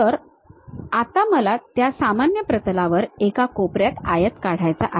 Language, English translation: Marathi, Now, on that frontal plane, I would like to draw a corner rectangle